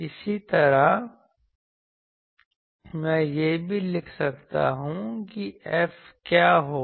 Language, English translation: Hindi, Similarly, I can also write what will be F